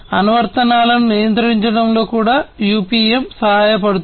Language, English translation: Telugu, And also UPM helps in control applications